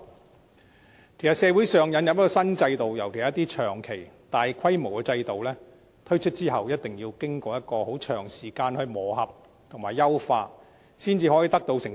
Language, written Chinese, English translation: Cantonese, 其實，社會引入新制度，尤其是一些長期和大規模的制度，在推出後必須經過一段很長時間的磨合和優化，才可以取得成績。, As a matter of fact it is essential that the introduction of a new system especially long - term and sizable ones in society must undergo a long period of adjustment and optimization before results can be observed